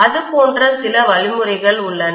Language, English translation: Tamil, There are some mechanisms like that